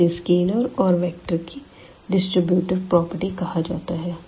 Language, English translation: Hindi, This is called the distributive property of this of these scalars and the vectors